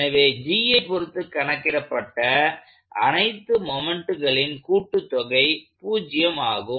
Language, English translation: Tamil, So, that also means that sum of all the moments computed about G is 0